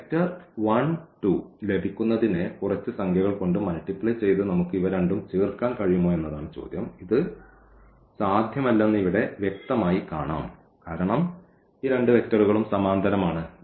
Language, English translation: Malayalam, The question is can we add these two by multiplying some number to get this vector 1 and 2 and which is clearly visible here that this is not possible because, these two vectors are parallel